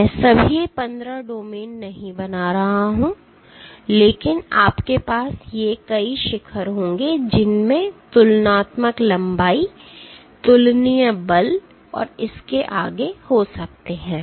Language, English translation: Hindi, So, on and so 4th, I am not drawing all 15 domains, but you will have these multiple peaks, which might have comparable lengths, comparable forces so and so forth